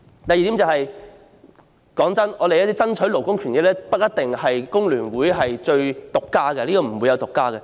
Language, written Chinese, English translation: Cantonese, 第二點，爭取勞工權益的工作不是工聯會獨家的，並沒有獨家這回事。, Secondly the fight for workers rights and interests is not exclusive to FTU and it is not exclusive in any way